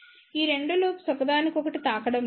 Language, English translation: Telugu, These 2 loops are not touching each other